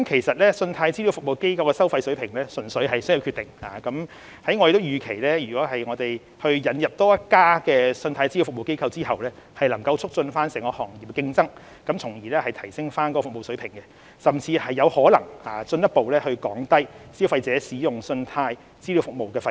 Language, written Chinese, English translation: Cantonese, 信貸資料服務機構的收費水平純屬商業決定，而我們預期在引入多一家信貸資料服務機構後，將可促進整個行業的競爭，從而提升服務水平，甚至有可能進一步降低消費者使用信貸資料服務的費用。, The fee level set by CRAs is simply a commercial decision and it is expected that following the introduction of a new CRA to promote competition in the industry not only the service quality will be improved the fees of credit data services to be paid by consumers may also be further reduced